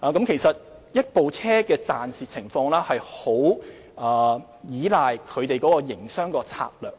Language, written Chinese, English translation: Cantonese, 其實，一部美食車的盈虧，十分依賴營商策略。, In fact whether a food truck will make profit depends very much on its business strategies